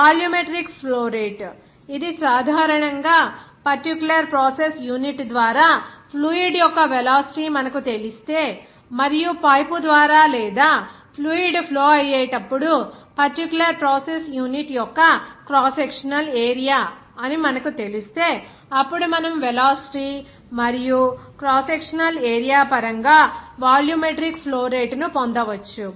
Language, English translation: Telugu, The volumetric flow rate, it will be actually if you know the velocity of the fluid through the particular process unit and if you know the cross sectional area that particular process unit like when a fluid is flowing through the pipe or in the cross sectional area of the pipe and if you know the velocity of the fluid through the pipe, then you can get the volumetric flow rate in terms of velocity and the cross sectional area